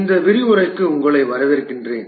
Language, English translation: Tamil, Welcome to this lecture about this lecture